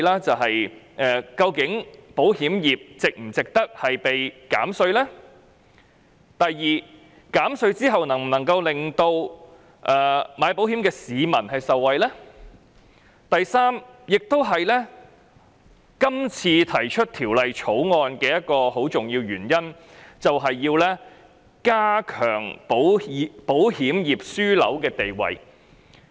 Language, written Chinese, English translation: Cantonese, 第一，究竟保險業是否值得獲減稅；第二，減稅後能否令購買保險的市民受惠；以及第三，今次提出《條例草案》一個很重要的原因，是要鞏固香港作為保險業樞紐的地位。, First whether the insurance industry deserves a tax reduction; secondly whether those who have taken out insurance can benefit from the tax reduction; and thirdly can Hong Kongs status as an insurance hub be reinforced which is a very important reason for introducing the Bill